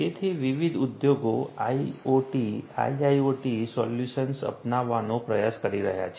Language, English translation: Gujarati, So, different industries are trying to adopt IoT, IIoT solutions